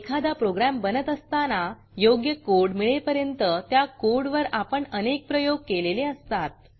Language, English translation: Marathi, We know that, while a program is being developed, one experiments a lot with the code before arriving at suitable code